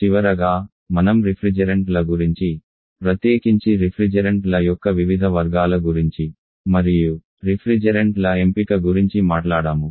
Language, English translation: Telugu, And finally we have talked about the refrigerants particularly the different categories of refrigerants and the selection of refrigerant